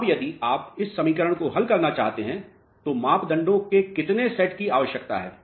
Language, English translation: Hindi, Now, if you want to solve this equation, how many sets of parameters are required